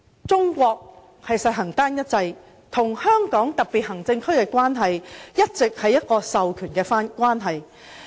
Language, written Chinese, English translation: Cantonese, 中國實行單一制，與香港特別行政區的關係一直是授權關係。, China has a unitary state structure . It maintains a relationship with the Hong Kong SAR by authorizing power to the latter